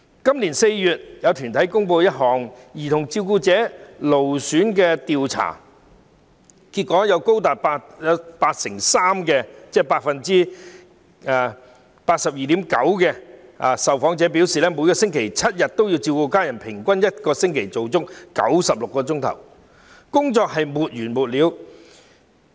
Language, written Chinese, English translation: Cantonese, 今年4月，有團體公布一項有關兒童照顧者勞損情況的調查，調查結果顯示，有高達 82.9% 受訪者1星期7天也要照顧家人，平均每星期工作96小時，似乎沒完沒了。, In April this year a survey about the strain on child carers was released by an organization . It is shown in the findings of the survey that as many as 82.9 % of the respondents have to take care of their family members seven days a week and work for an average of 96 hours a week a seemingly endless job